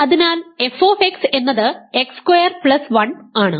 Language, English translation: Malayalam, its kernel is x square plus 1